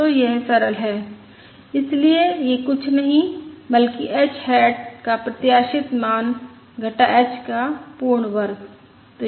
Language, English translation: Hindi, so this is nothing but expected value of h hat minus h whole square